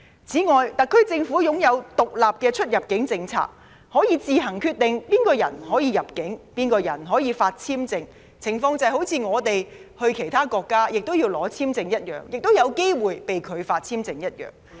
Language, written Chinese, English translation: Cantonese, 此外，特區政府實施獨立的出入境政策，可以自行決定誰人可入境，誰人可獲發簽證，情況就像我們到其他國家要申請簽證，亦有機會被拒發簽證一樣。, In addition the SAR Government implements an independent immigration policy . It can decide on its own who can enter the territory and who will be issued visas as in the case that our applications for visas to other countries may also be rejected